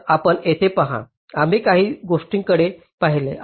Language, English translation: Marathi, ok, so you see, here we looked at a few things